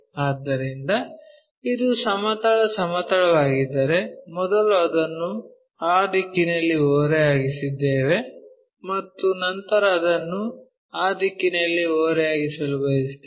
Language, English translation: Kannada, So, if this is the horizontal plane, first we have tilted it in that direction then we want to tilt it in that direction